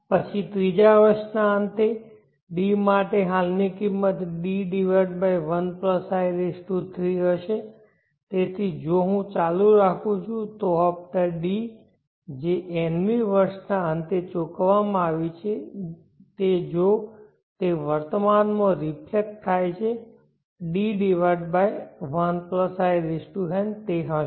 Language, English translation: Gujarati, Then the present worth for D at the end of 3rd year will be D/1+I3 so on if I keep doing the installment D which is supposed to have been paid at the end of the nth year if it is reflected back to the present it will be D/1+In